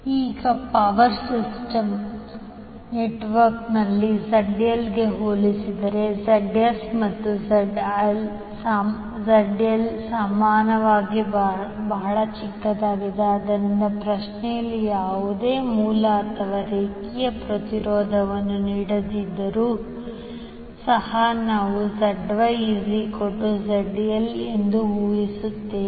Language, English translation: Kannada, Now in the power system network the ZS and ZL are often very small as compared to ZL, so we can assume ZY is almost equal to ZL even if no source or line impedance is given in the question